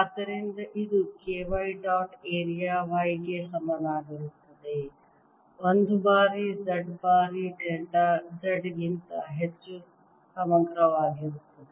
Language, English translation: Kannada, so this is going to be equal to k y dot area y one times d, z times delta z integral over z, it gives me k